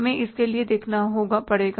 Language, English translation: Hindi, We'll have to look for that